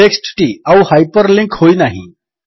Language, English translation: Odia, The the text is no longer hyperlinked